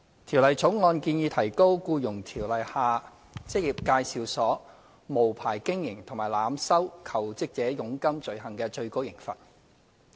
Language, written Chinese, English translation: Cantonese, 《條例草案》建議提高《僱傭條例》下職業介紹所無牌經營及濫收求職者佣金罪行的最高刑罰。, The Bill proposes to raise the maximum penalty under the Employment Ordinance EO for the offences of unlicensed operation and overcharging jobseekers by employment agencies